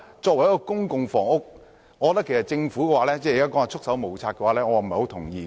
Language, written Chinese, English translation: Cantonese, 對於公共房屋相關問題，政府現時表示"束手無策"，我不太同意。, Regarding issues concerning public housing the Government claimed that its hands are tied . I do not quite agree